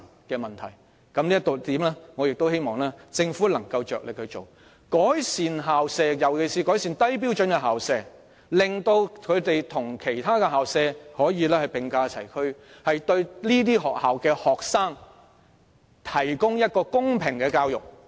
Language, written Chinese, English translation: Cantonese, 就這一點而言，我希望政府能夠着力改善校舍，尤其是低標準校舍，令它們可以與其他學校並駕齊驅，為在這些學校就讀的學生提供公平的教育。, On this point I hope that the Government can be committed to making improvements to school premises especially those that are below standard so that they can be brought on par with other schools and students in these schools can hence be provided with education fairly